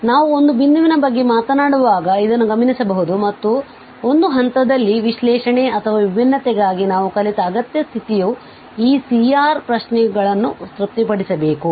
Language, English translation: Kannada, So, which can be observed this when we are talking about a point and the necessary condition we have learned for analyticity or differentiability at a point is that these C R questions must be satisfied